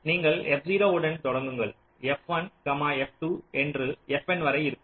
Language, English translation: Tamil, the idea is like this: you start with f zero, there will be f one, f two, up to f n